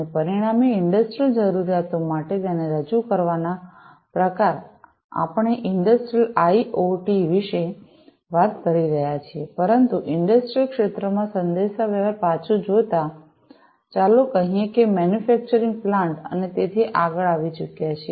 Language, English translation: Gujarati, And, consequently, you know, sort of projecting it for industrial requirements we are talking about Industrial IoT, but looking back communication in the industrial sector, let us say, manufacturing plants, and so on and so forth has already been there